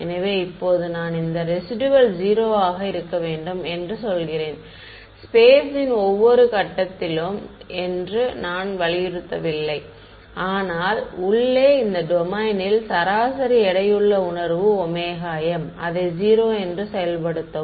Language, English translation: Tamil, So, now, I am saying I am not insisting that this residual be 0 at every point in space, but in an average weighted sense over this domain omega m enforce it to 0 ok